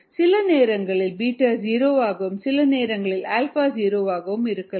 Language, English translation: Tamil, sometimes beta could be zero, sometimes alpha could be zero, and so on